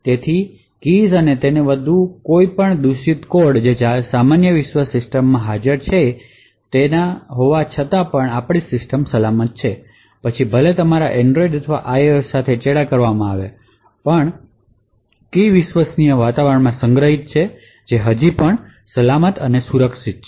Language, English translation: Gujarati, So, the keys and so on are secure in spite of any malicious code that is present in the normal world system so even if your Android or IOS is compromised still the key is stored in the trusted environment is still safe and secure